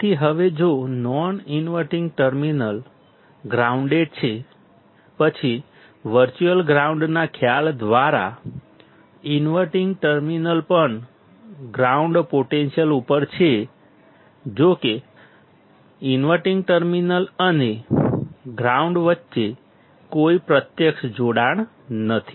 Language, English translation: Gujarati, So, now if the non inverting terminal is grounded; then by the concept of virtual ground the inverting terminal is also at ground potential; though there is no physical connection between the inverting terminal and ground